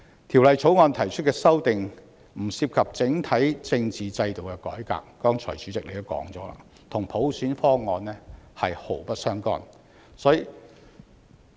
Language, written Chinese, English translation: Cantonese, 《條例草案》提出的修訂不涉及整體政治制度的改革，與普選方案是毫不相干。, The amendments proposed in the Bill are not related to the reform of our overall political system and have nothing to do with the proposal for universal suffrage